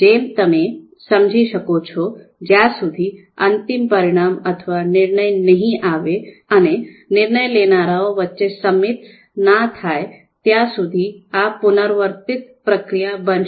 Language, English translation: Gujarati, So as you can understand, this is going to be a repetitive iterative process until a consensus between decision makers is reached and we have a final outcome or decision